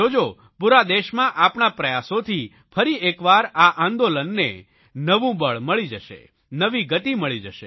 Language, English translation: Gujarati, You will see that with our joint efforts, this movement will get a fresh boost, a new dynamism